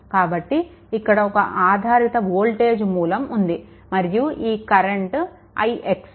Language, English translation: Telugu, So, there is so dependent voltage source is there, and this current is i x